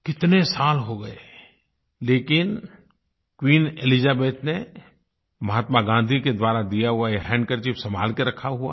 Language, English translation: Hindi, So many years have passed and yet, Queen Elizabeth has treasured the handkerchief gifted by Mahatma Gandhi